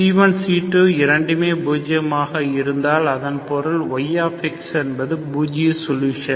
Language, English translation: Tamil, If C1, C2, both are 0, that means y of x is the 0 solution